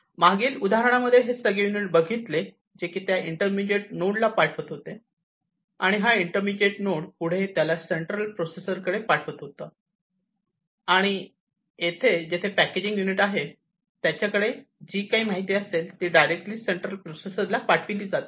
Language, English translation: Marathi, In the previous example all these units, were sending it to that intermediate node and this intermediate node, in turn was sending it to the central processor and over here, this packaging unit, whatever information it has it sends it directly to the central processor